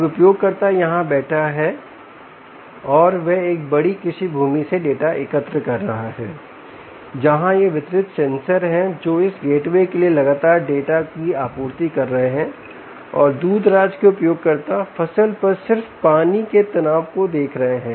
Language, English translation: Hindi, now the user is sitting here and he is collecting data from a large farm land where there are these distributed sensors, ah, which is supplying data constantly to this gateway and the remote user is looking at just water stress on the crop